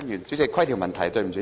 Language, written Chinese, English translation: Cantonese, 主席，規程問題。, President a point of order